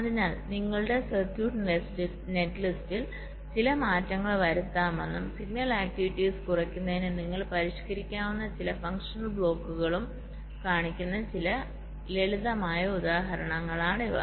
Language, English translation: Malayalam, so these are some simple examples which show that you can make some changes in your circuit, netlist and also some functional blocks you can modify so as to reduce the signal activities, right